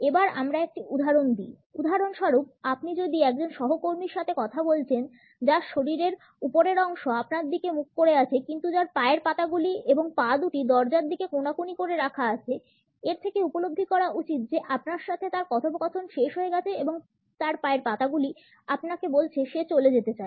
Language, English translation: Bengali, Let me give you a couple of examples; if for instance you are talking to a co worker; whose upper body is faced toward you, but whose feet and legs have turned an angle toward the door; realize that conversation is over her feet are telling you she wants to leave